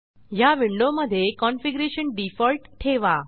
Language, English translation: Marathi, In this window, keep the default configuration